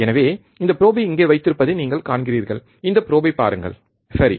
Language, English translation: Tamil, So, you see this probe that is holding here, look at this probe, right